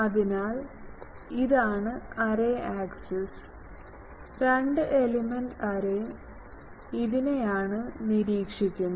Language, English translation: Malayalam, So, this is the array axis two element array this is my observation thing